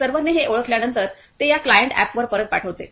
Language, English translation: Marathi, After the server recognized it, it send back to this client app